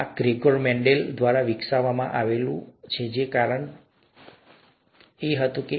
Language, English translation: Gujarati, This was developed by Gregor Mendel, just because it was there